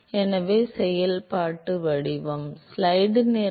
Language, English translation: Tamil, So, the functional form